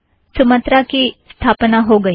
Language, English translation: Hindi, Sumatra is installed now